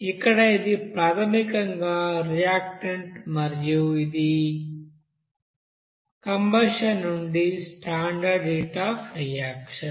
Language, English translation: Telugu, So here this is basically the you know reactant and here this is product for standard heat of reaction from combustion